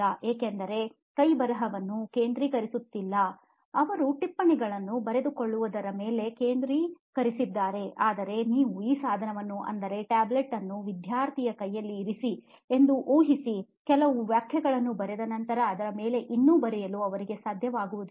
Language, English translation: Kannada, so the reason is they are not actually focusing on handwriting, they are focusing on taking notes it is fine, but imagine you place this device the tablet the existing products in a hand of a student, after writing a few sentence they will probably not able to write anymore on that